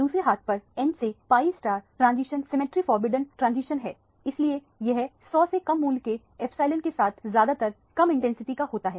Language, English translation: Hindi, On the other hand, the n to pi star transition is a symmetry forbidden transition therefore it is of usually low intensity with epsilon value less than 100 or so